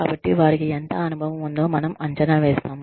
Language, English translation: Telugu, And so, we evaluate, how much experience, they have